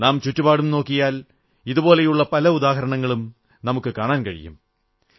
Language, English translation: Malayalam, If we look around, we can see many such examples